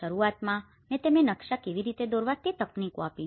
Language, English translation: Gujarati, Initially, I have given them techniques of how to draw the maps